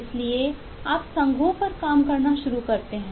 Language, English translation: Hindi, so you start working on the associations